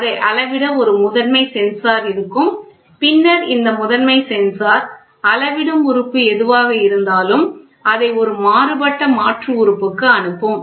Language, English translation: Tamil, So, we will have a primary sensor to measure and then this primary sensor element whatever is there it then it is sent to a Variable Conversion Element